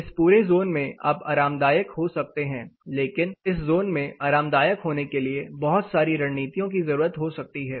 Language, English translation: Hindi, Just this whole zone you can be comfortable, but being comfortable in this zone might involve a variety of strategies